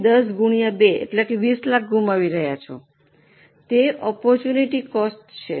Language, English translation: Gujarati, So 10 into 2 you are losing 20 lakhs that is the opportunity cost